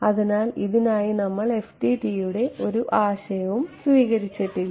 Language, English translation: Malayalam, So, this we did not take any recourse to FDTD for this